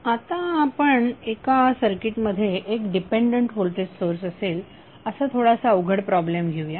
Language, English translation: Marathi, Now let us take slightly complex problem where you have 1 dependent voltage source in the circuit